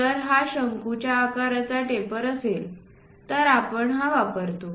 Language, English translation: Marathi, If it is conical kind of taper we use this one